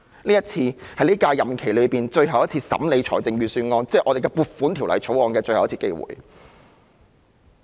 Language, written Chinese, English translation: Cantonese, 今次是我們在本屆任期最後一次審議預算案，亦即《撥款條例草案》的機會。, This is the last opportunity in our current term of office to consider the Budget ie . the Appropriation Bill